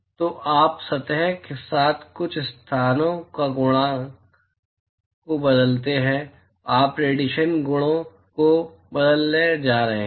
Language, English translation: Hindi, So, you change the properties of some locations of the surface you are going to change the radiation properties